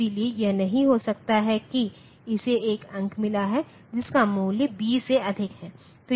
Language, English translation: Hindi, So, it cannot be that it has got a digit whose value is more than b